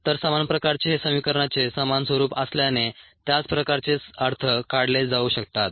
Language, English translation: Marathi, so the same kind of since is the same form of the equation, the same kind of ah interpretations can be drawn